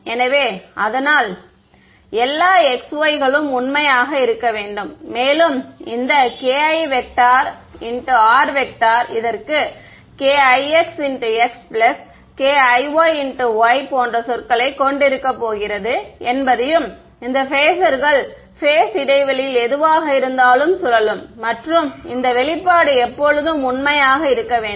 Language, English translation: Tamil, So, this should be true at all x,y right, and you notice that this k i dot r this is going to have terms like k i x x plus k i y y and these phasors are rotating in whatever in phase space and this expression should be true always